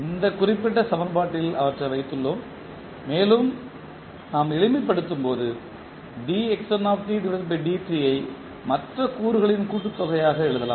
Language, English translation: Tamil, We have put them into this particular equation and when we simplify we can write the dxnt by dt as the summation of other components